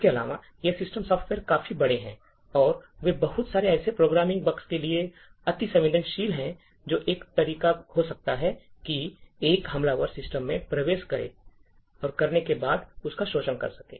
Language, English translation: Hindi, Further, these systems software are quite large, and they are susceptible to a lot of such programming bugs which could be a way that an attacker could enter and exploit the system